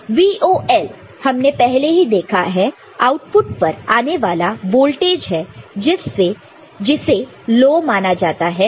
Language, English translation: Hindi, So, VOL we have already seen, the voltage at the output which is treated as low